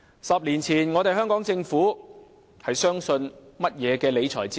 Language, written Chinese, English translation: Cantonese, 十年前，香港政府相信甚麼理財哲學？, What was the fiscal philosophy adopted by the Hong Kong Government a decade ago?